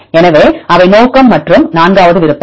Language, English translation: Tamil, So, they purpose and the fourth option